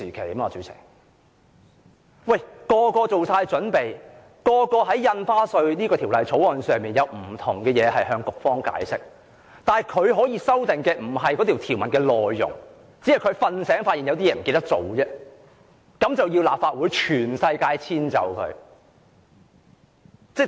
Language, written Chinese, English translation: Cantonese, 所有議員均已作好準備，打算就《條例草案》的不同範疇向局方解釋，但"林鄭"現時並非對《條例草案》的內容提出修訂，只是"睡醒"後發現有些事情忘了做，於是要求立法會全體議員遷就她。, All Members are prepared to expound their views to the Bureau on different aspects of the Bill . But now Carrie LAM is not proposing any amendment to the contents of the Bill . She simply realized after waking up that she had forgotten to do something and so she asked all Members of the Legislative Council to accommodate her